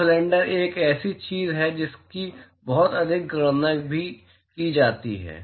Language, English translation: Hindi, So, the cylinders is something that is also very very commonly encounted